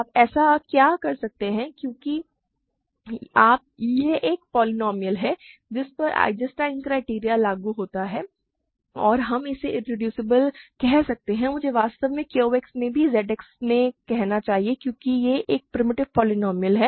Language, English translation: Hindi, What can you so; because this is a polynomial to which Eisenstein criterion applies and that we can say its irreducible and I should actually say in Q X also in Z X because it is a primitive polynomial